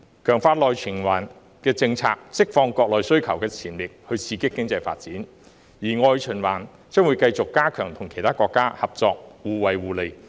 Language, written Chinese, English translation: Cantonese, 強化內循環的政策，可釋放國內需求的潛力，刺激經濟發展，而外循環將有利於繼續加強與其他國家合作，互惠互利。, Strengthening domestic circulation will unleash the potential of domestic demand and stimulate economic development while external circulation will help further enhance cooperation with other countries to bring about mutual benefits